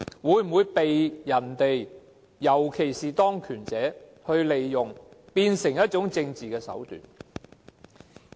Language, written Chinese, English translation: Cantonese, 它會否被人所利用，變成一種政治手段？, Will it be exploited by people especially those in power and turned into a political means?